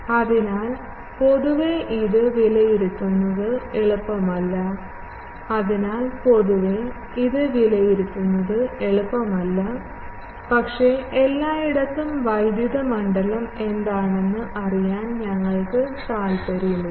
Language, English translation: Malayalam, So, generally the, it is not easy to evaluate it, but we are also not interested to know what is the electric field everywhere